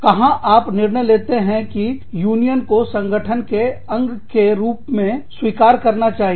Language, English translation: Hindi, Where do you decide, whether the union should be accepted, as a part of the organization